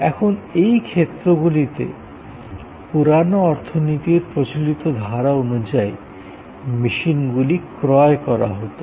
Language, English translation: Bengali, Now, in these cases, the machines in the old economy were purchased